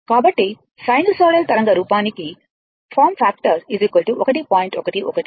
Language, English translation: Telugu, So, for sinusoidal waveform the form factor is 1